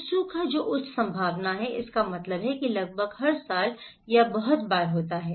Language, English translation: Hindi, So, drought which is high probability, this means happening almost every year or very frequently